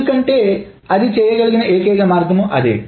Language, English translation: Telugu, Because that is the only way it can do